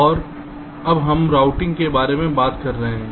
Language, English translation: Hindi, and now we are talking about routing